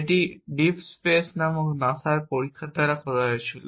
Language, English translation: Bengali, It was experiment done by NASA experiment called deep space